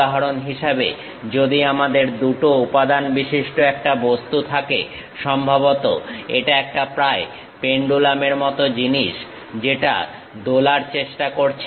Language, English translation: Bengali, For example, if I have an object having two materials, perhaps it is more like a pendulum kind of thing which is trying to swing